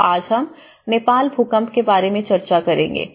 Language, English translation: Hindi, So, today we will discuss about the Nepal earthquake